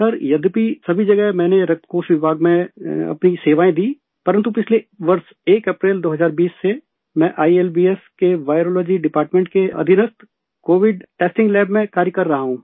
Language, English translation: Hindi, Sir, although in all of these medical institutions I served in the blood bank department, but since 1st April, 2020 last year, I have been working in the Covid testing lab under the Virology department of ILBS